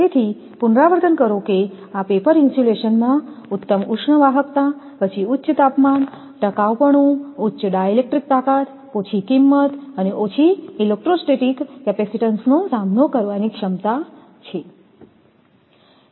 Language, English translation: Gujarati, So, repeat again that superior heat conductivity, then ability to withstand high temperature, durability, high dielectric strength, low cost and low electrostatic capacitance